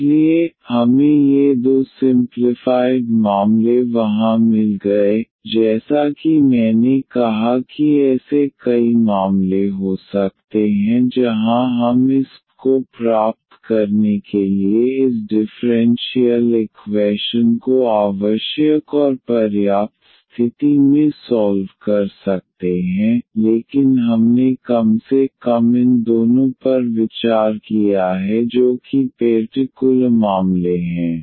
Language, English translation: Hindi, So, we got these two simplified cases there as I said there can be many more cases where we can solve this differential equation this condition necessary and sufficient condition to get this I, but we have considered at least these two which is special cases